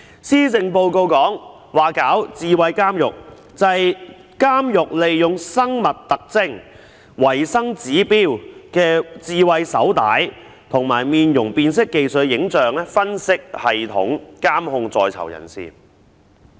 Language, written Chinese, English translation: Cantonese, 施政報告說要推行"智慧監獄"，就是指監獄利用生物特徵、維生指標的智慧手帶和採用面容辨識技術的影像分析系統，監控在囚人士。, The Policy Address mentioned the introduction of smart prisons . It refers to the use of biometrics smart wristbands indicating health signs and image analysis systems adopting the facial recognition technology in prisons to keep watch on prisoners